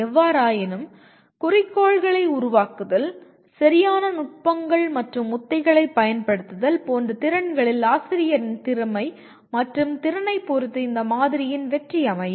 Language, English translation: Tamil, However, the success of this model depends on the competency and ability of the teacher in terms of skills like the formulation of objectives, use of proper strategies and techniques of evaluation